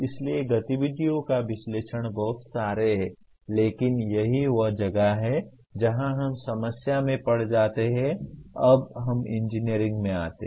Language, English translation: Hindi, So analyze activities are very many but that is where we get into problem when we come to engineering